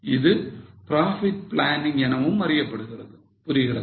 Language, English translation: Tamil, That is also known as profit planning